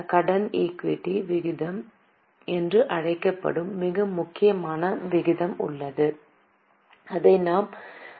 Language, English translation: Tamil, There is very important ratio called as debt equity ratio which we will be calculating soon